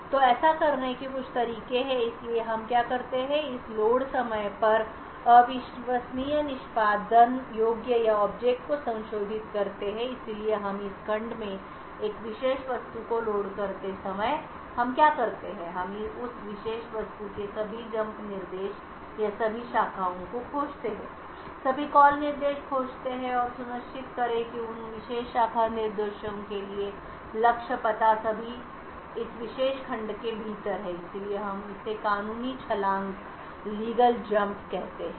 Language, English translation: Hindi, So there are a couple of ways to do this, so what we do is that we modify the untrusted executable or object at the load time so what we do is we while loading a particular object into this segment we parse that particular object look out for all the jump instructions or all the branches all the call instructions and ensure that the target address for those particular branch instructions all are within this particular segment, so therefore we call this as legal jumps